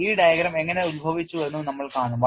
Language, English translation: Malayalam, And will also how this diagram originated